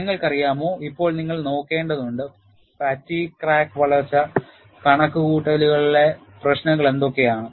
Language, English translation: Malayalam, And you know, now, you will have to look at, what are the issues in fatigue crack growth calculations